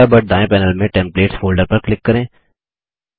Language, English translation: Hindi, From the Thunderbird left panel, click the Templates folder